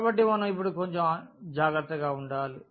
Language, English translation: Telugu, So, we have to now look a little bit more careful